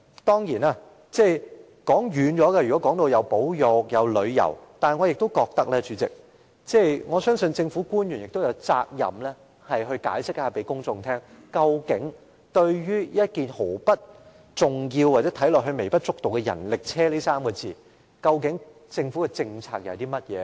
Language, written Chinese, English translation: Cantonese, 當然，談保育、談旅遊，可能扯得很遠，但我相信，政府官員亦有責任向公眾解釋，究竟對看似毫不重要，又微不足道的人力車，究竟政府的政策是甚麼？, Of course issues about conservation and tourism can stray too far from the subject but I believe government officials are also duty - bound to explain to the public the government policy on rickshaws which are seemingly unimportant and insignificant